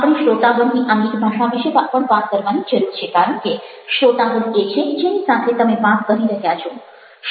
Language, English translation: Gujarati, we also need to talk about the body languages of the audience, because the audience is who you are talking to